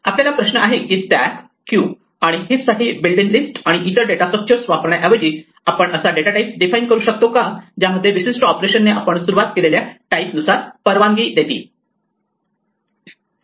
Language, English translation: Marathi, Our question is, that instead of using the built in list for stacks, queues and heaps and other data structures can we also defined a data type in which certain operations are permitted according to the type that we start with